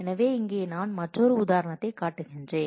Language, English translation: Tamil, So, here I am showing another example here